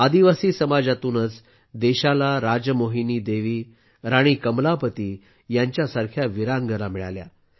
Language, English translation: Marathi, It is from the tribal community that the country got women brave hearts like RajMohini Devi and Rani Kamlapati